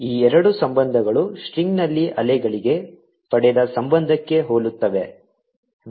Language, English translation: Kannada, this two relationships are very similar to the relationship obtain for waves on a string